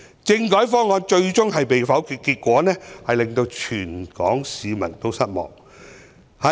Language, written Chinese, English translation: Cantonese, 政改方案最終被否決，結果令全港市民失望。, All people of Hong Kong were disappointed by the ultimate veto of the constitutional reform package